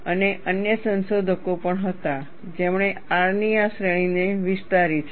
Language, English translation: Gujarati, And there were also other researchers, who have extended this range of R